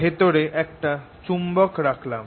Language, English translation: Bengali, i put this magnet inside